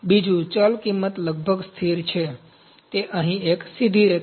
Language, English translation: Gujarati, Number 2, the variable cost is almost a constant, it is a straight line here